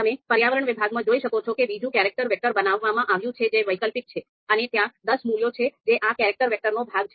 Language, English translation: Gujarati, You can see in the environment section another character vector has been created, which is alternatives and there are ten values which are part of this character vector